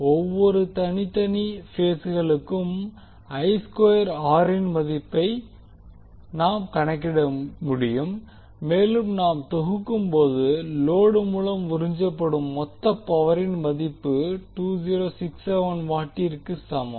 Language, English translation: Tamil, We can just calculate the value of I square r for each and individual phases and when we sum up we get the value of total power absorbed by the load is equal to 2067 watt